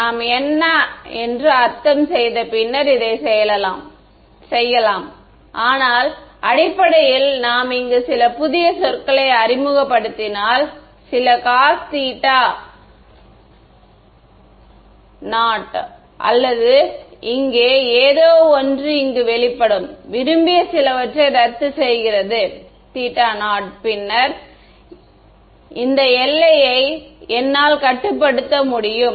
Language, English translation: Tamil, So, I mean we will do this later but, basically if I introduce some new term over here, some cos theta naught or something over here, in such a way that this expression over here, cancels off at some desired theta naught then, I can control this boundary condition